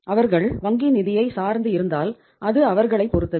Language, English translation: Tamil, They if they depend upon the bank finance then it is up to them